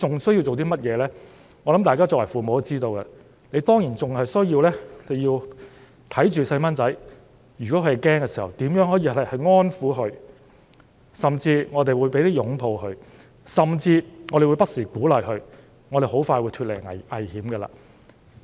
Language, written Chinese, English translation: Cantonese, 相信大家作為父母的也知道，當然還需要看顧子女，如果他們感到驚慌，便要安撫他們，甚至擁抱他們，並不時鼓勵他們說很快便會脫離危險。, I think that we as parents all know that we should of course take care of our children . If they are in panic we should calm them down and even hug them and we should encourage them every now and then by telling them that we would be safe very soon